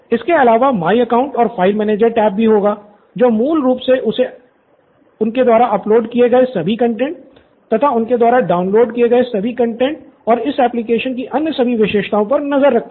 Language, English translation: Hindi, Other than that there will also be a my account and a file manager tab which basically keeps track of all the content that he has uploaded, all the content that he has downloaded and all the other features that are part of this application